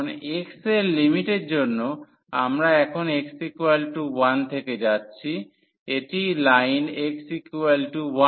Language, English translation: Bengali, So, now, for the limits of x, we are now moving from x is equal to 1 this is the line x is equal to 1